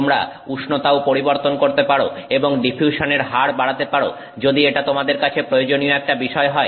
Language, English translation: Bengali, You can also change the temperature and increase the diffusion rate if that is something that is important to you